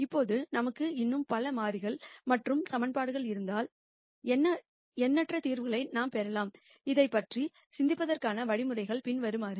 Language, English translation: Tamil, Now since I have many more variables and equations I would have infinite number of solutions the way to think about this is the following